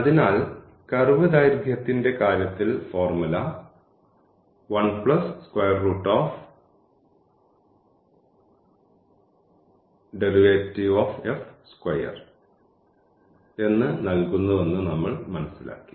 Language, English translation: Malayalam, So, what we have learnt that in case of the curve length the formula is given by the square root of 1 plus and this derivative whole square